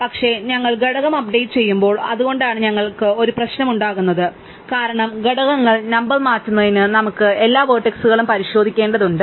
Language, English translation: Malayalam, But, when we update the component, that is when we have a problem, because we have to scan through all the vertices in order to change the components number